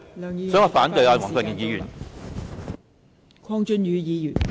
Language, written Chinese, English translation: Cantonese, 所以，我反對黃國健議員的議案。, Hence I oppose Mr WONG Kwok - kins motion